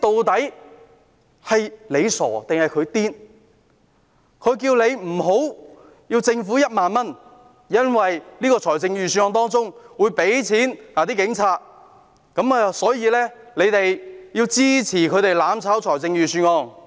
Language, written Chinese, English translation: Cantonese, 他們叫大家不要接受政府的1萬元，因為預算案會撥款給警察，所以大家要支持他們"攬炒"預算案。, They ask us to refuse the 10,000 to be handed out by the Government as funding will be allocated to the Police following the passage of the Budget so we should support them to veto the Budget by way of mutual destruction